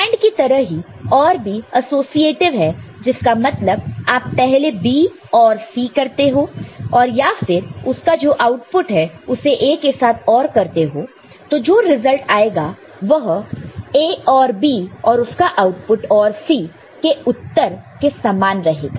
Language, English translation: Hindi, And similar to AND OR is also associative; that means, whether you group B and C first you do B and C ORing first and then you OR the output of this B and C with A